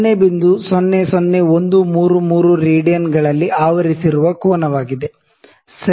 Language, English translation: Kannada, 00133 radians, ok